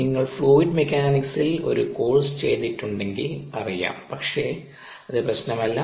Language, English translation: Malayalam, if you have done ah course on floor mechanics, your already know it